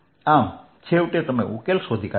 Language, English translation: Gujarati, so i found the solution